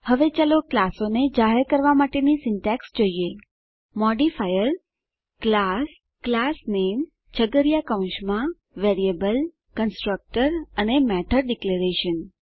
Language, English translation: Gujarati, Now, let us see the syntax for declaring classes modifier â class classname within curly brackets variable, constructor and method declarations